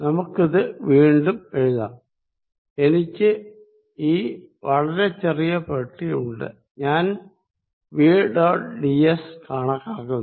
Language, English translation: Malayalam, Let us rewrite it, if I rewrite it I have this box very small box and if I calculate v dot ds